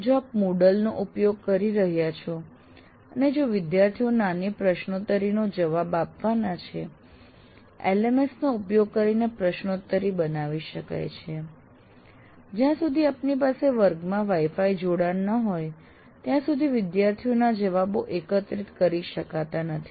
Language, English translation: Gujarati, If you are using Moodle and if you expect student to answer a small quiz, well, quiz can be created using LMS but the student's response also, unless you have a Wi Fi connectivity in the class, one cannot do